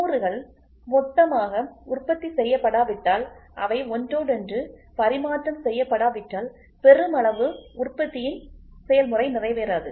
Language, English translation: Tamil, When components are produced in bulk unless they are interchangeable the process of mass production is not fulfilled